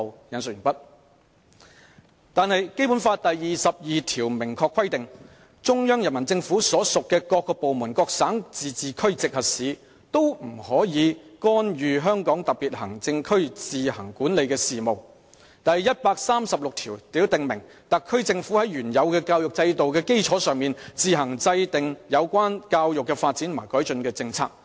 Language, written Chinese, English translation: Cantonese, 然而，《基本法》第二十二條規定，中央人民政府所屬各部門、各省、自治區、直轄市均不得干預香港特別行政區自行管理的事務；第一百三十六條訂明，特區政府在原有教育制度的基礎上，自行制定有關教育的發展和改進的政策。, However Article 22 of the Basic Law stipulates that no department of the Central Peoples Government and no province autonomous region or municipality directly under the Central Government may interfere in the affairs which the Hong Kong Special Administrative Region HKSAR administers on its own; Article 136 provides that on the basis of the previous educational system the HKSAR Government shall on its own formulate policies on the development and improvement of education